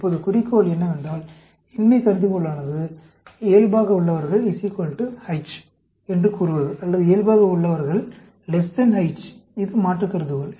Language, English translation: Tamil, Now, the goal is to tell the null hypothesis is, is the control is equal to H, or control is less than H; that is the alternate hypothesis